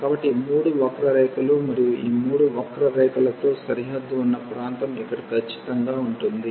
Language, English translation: Telugu, So, these 3 curves and the area bounded by these 3 curves will be precisely this one here